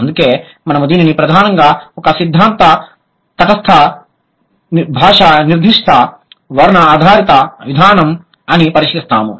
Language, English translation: Telugu, That is why we call it, so we primarily consider it a theory neutral language particular description based approach